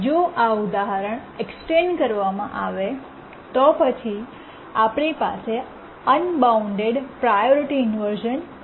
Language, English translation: Gujarati, If we extend this example, we come to the example of an unbounded priority inversion